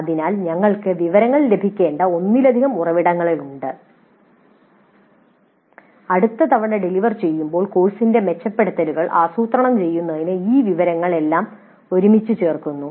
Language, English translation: Malayalam, So there are multiple sources from which we should get information and this information is all pulled together to plan the improvements for the course the next time is delivered